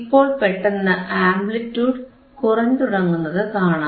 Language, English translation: Malayalam, 12 and you can suddenly see that now the amplitude will start decreasing right yeah